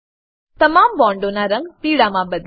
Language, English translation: Gujarati, Change the color of all the bonds to yellow